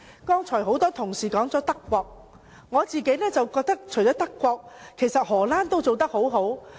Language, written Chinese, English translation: Cantonese, 剛才很多同事提及德國，我覺得除了德國外，荷蘭也做得很好。, Just now many Honourable colleagues mentioned Germany . I think apart from Germany the Netherlands has also done a good job